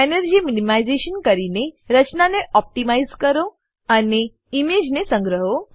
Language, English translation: Gujarati, Do the energy minimization to optimize the structure